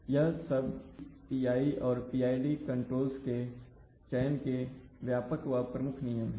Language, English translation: Hindi, So these are, you know, broad thumb rules of selecting P, PI or PID controls